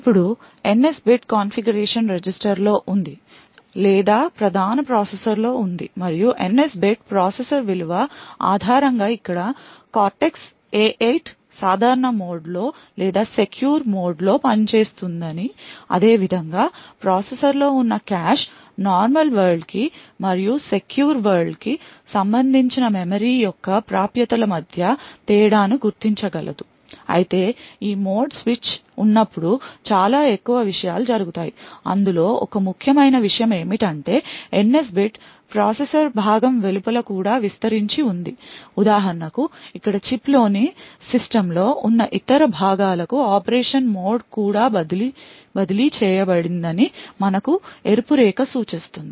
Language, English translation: Telugu, Now the NS bit is present in a configuration register or present in the main processor and based on the value of the NS bit the processor over here the Cortex A8 works in either the normal mode or the Secure mode similarly the cache present in the processor is also able to distinguish between memory accesses which are for the normal world and the secure world but there is a lot more things that happen when there is this mode switch one important thing for us is that this NS bit also extends outside this processor component so for example over here we show that the red line indicates that the mode of operation is also transferred to other components present in the System on Chip